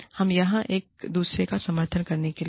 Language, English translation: Hindi, We are here, to support, each other